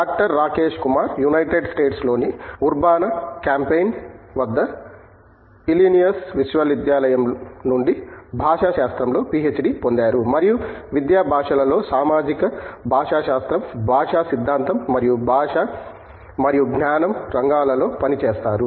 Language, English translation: Telugu, Rajesh Kumar has a PhD in Linguistics from the University of Illinois at Urbana Champaign in the United States and he works in the areas of a language in education, social linguistics, linguistic theory and language and cognition